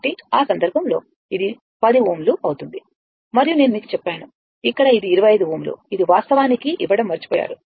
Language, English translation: Telugu, So, in that case, it will be 10 ohm and I told you, here it is 25 ohm right, this is missed actually